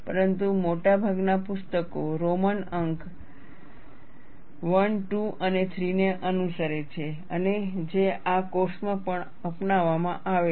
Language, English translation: Gujarati, But most books follow, Roman numerals I, II and III and which is what is adopted in this course as well